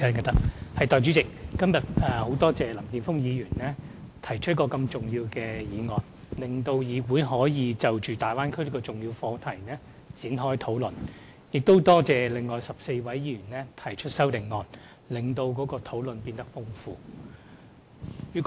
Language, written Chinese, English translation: Cantonese, 代理主席，很多謝林健鋒議員今天提出一個這麼重要的議案，讓議員可就大灣區這個重要課題展開討論，亦多謝另外14位議員提出修正案，令討論內容變得更豐富。, Deputy President I am very grateful to Mr Jeffrey LAM for proposing such an important motion today . Members are thus able to discuss this important subject of Bay Area development . Also I would like to thank the other 14 Members for their amendments which have all enriched the discussion greatly